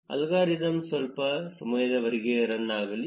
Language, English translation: Kannada, Let the algorithm run for a while